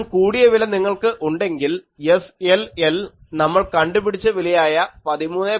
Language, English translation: Malayalam, If you have larger than this, SLL will approach the value that we have already derived 13